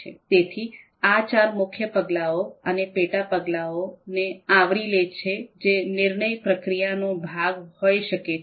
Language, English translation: Gujarati, So that covers the four main steps and the sub steps that could be part of the decision making process